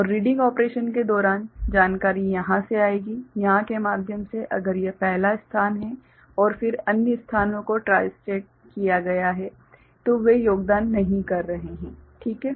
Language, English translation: Hindi, And during the reading operation information will come from here, through here if it is the first location and then other locations are tristated so, they are not contributing ok